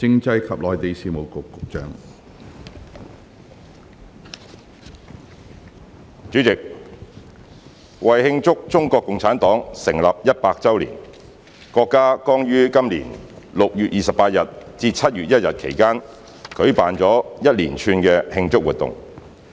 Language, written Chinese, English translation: Cantonese, 主席，為慶祝中國共產黨成立一百周年，國家剛於今年6月28日至7月1日期間舉辦了一連串的慶祝活動。, President to celebrate the 100th anniversary of the founding of the Communist Party of China CPC a series of celebration activities have been held by the country from 28 June to 1 July this year